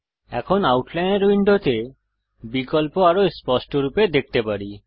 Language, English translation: Bengali, We can see the options in the Outliner window more clearly now